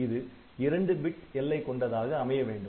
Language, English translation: Tamil, So, it has to be at 2 bit boundaries